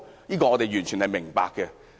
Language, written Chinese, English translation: Cantonese, 這點我們完全明白。, I fully understand this point